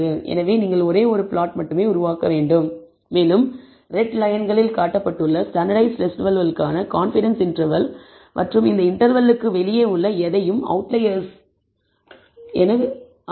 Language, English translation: Tamil, So, you need to generate only one plot and we have also shown here the, in red lines, the confidence interval for the standardized residuals and anything above this outside of this interval indicates outliers